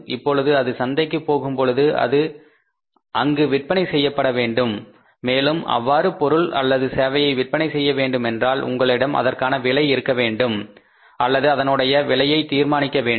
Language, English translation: Tamil, Now when it has to go to the market it has to be sold in the market and for selling any product or service in the market you need to have or you need to fix up a price